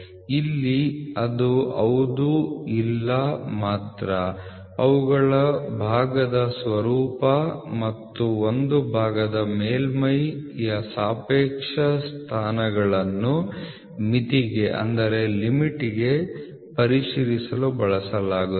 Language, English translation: Kannada, So, here it is only yes no which are used to check the conformance of a part along with their form and the relative positions of the surface of a part to the limit